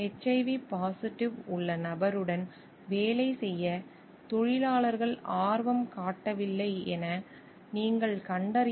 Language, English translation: Tamil, What you find like the workers were not interested to work with the person having HIV positive